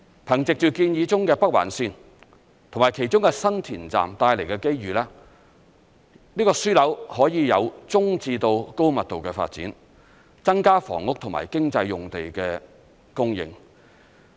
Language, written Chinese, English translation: Cantonese, 憑藉着建議中的北環綫及其中的新田站帶來的機遇，這個樞紐可以有中至高密度的發展，增加房屋和經濟用地的供應。, Thanks to the opportunity associated with the proposed Northern Link and the San Tin Station the Node may cater for medium to high density development thus increasing the supply of land for housing and economic land uses